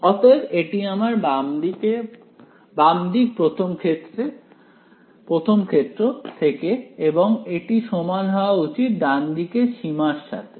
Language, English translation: Bengali, So, that is a left hand side right this is from case 1 and that should be equal to the right limit